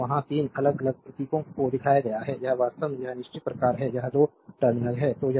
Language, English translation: Hindi, So, there are 3 different symbols are shown, this is actually this is fixed type this is 2 terminals are there